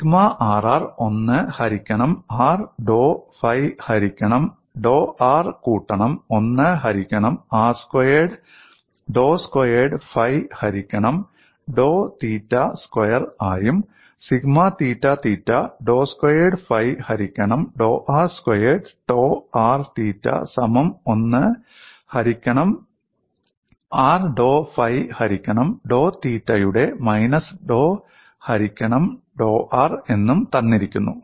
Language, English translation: Malayalam, And sigma rr is given as 1 by r dou phi by dou r plus 1 by r square, dou squared phi by dou theta square sigma theta theta as dou square phi by dou r square tau r theta equal to minus dou by dou r of 1 by r dou phi by dou theta